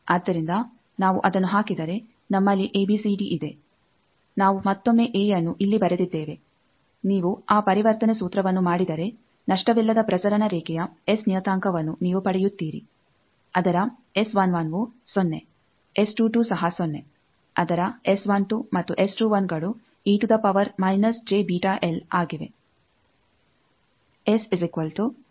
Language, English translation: Kannada, So, if we put that then we have ABCD we have written A once again here, if you do those conversion formula you get that S parameter of the lossless transmission line is its S 11 is 0 its S 22 is also 0 its S 12 and S 21 are e to the power minus j beta l